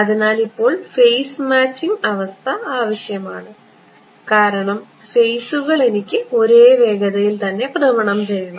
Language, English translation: Malayalam, So, now phase matching condition required this and this right because the phases I have to rotate at the same speed ok